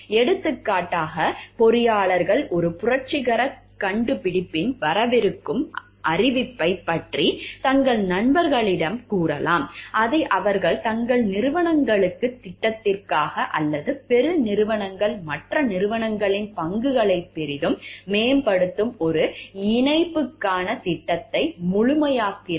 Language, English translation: Tamil, For example, engineers might tell their friends about the impending announcement of a revolutionary invention, which they have been perfecting for their corporations plan or for the corporations plan for a merger that will greatly improve other company’s stock